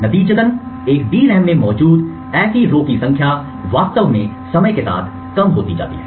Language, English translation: Hindi, As a result, the number of such rows present in a DRAM was actually reducing over a period of time